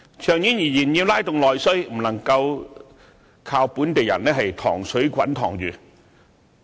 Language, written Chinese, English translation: Cantonese, 長遠而言，要拉動內需，不能夠靠本地人"塘水滾塘魚"。, In the long run we cannot rely on local people to stimulate internal demand